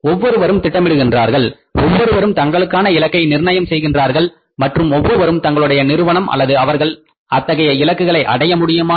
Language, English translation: Tamil, Everybody plans, everybody sets the targets and everybody want to see whether the firm he or she has been able to achieve the targets